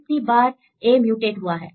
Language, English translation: Hindi, How many numbers of mutations